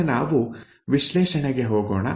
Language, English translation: Kannada, This is the analysis